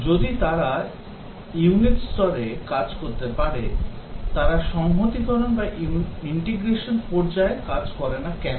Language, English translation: Bengali, If they are working at the unit level, why should not they work at the integration level